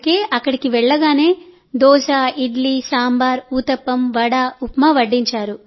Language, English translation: Telugu, So as soon as we went there we were served Dosa, Idli, Sambhar, Uttapam, Vada, Upma